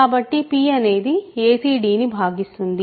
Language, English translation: Telugu, So, p divides a c d, right